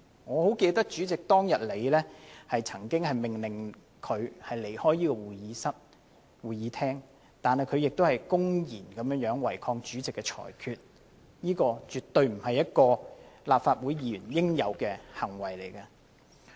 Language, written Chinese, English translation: Cantonese, 我很記得主席當天曾經命令他離開會議廳，但他公然違抗主席的裁決，這絕對不是立法會議員應有的行為。, I remembered well that the President had ordered him to leave the Chamber and he blatantly defied the Presidents ruling . It was definitely not the behaviour expected of a Legislative Council Member